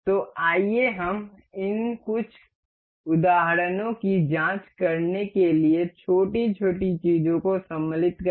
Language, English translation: Hindi, So, let us assemble a little how to insert things we will check these some examples